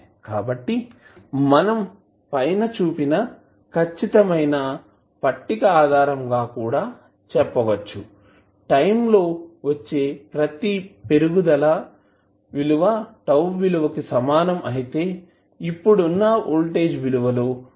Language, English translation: Telugu, So this you can see from this particular table also that, the every increment of time equal to tau the value of, the voltage would reduce by 36